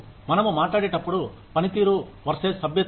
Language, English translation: Telugu, When we talk about, performance versus membership